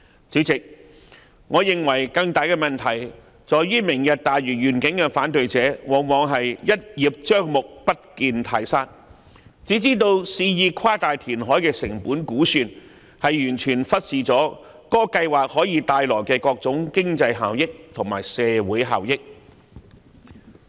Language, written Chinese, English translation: Cantonese, 主席，我認為更大的問題在於"明日大嶼願景"的反對者往往是"一葉障目，不見泰山"，肆意誇大填海的成本估算，完全忽視了計劃可以帶來的各種經濟效益和社會效益。, President in my view a greater problem is that opponents of the Lantau Tomorrow Vision have very often failed to take the whole picture in view and blatantly exaggerated the estimated cost of the reclamation project in total disregard for the various economic and social benefits that the plan can bring about